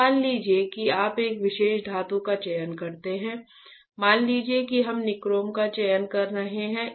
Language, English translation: Hindi, So, say that you select one particular metal, let us say we are selecting nichrome, alright